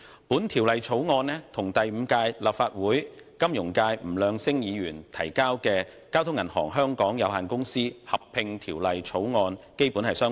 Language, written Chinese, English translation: Cantonese, 本《條例草案》與第五屆立法會金融界議員吳亮星先生提交的《交通銀行有限公司條例草案》基本相同。, The Bill is basically the same as the Bank of Communications Hong Kong Limited Merger Bill introduced by Mr NG Leung - sing a Member of the Fifth Legislative Council representing the finance sector